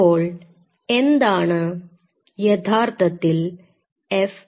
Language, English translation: Malayalam, So, what is really FACS